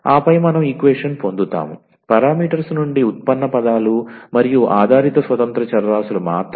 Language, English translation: Telugu, And then we will get equation which we will contain only the derivatives terms and the dependent independent variables free from that parameters